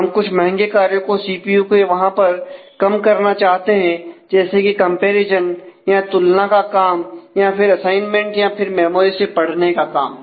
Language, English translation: Hindi, We try to minimize certain expensive operations in the CPU; say the comparison operation or the assignment or may be the memory read operation